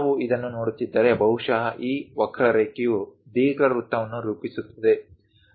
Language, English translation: Kannada, If we are looking at this, perhaps this curve forms an ellipse